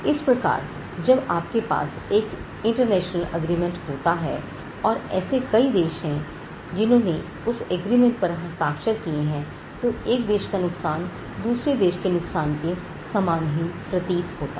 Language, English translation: Hindi, So, once you have an international agreement, and you have various countries who have signed to that agreement, you can harmonize the loss, loss in one country and the other country can look similar or the same